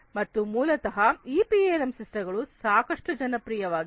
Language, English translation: Kannada, And there are so basically these PLM systems are quite popular